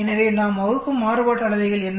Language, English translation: Tamil, So what are the variances we divide by